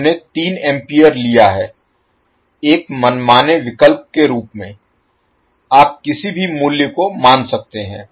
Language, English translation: Hindi, We have taken 3 ampere as an arbitrary choice you can assume any value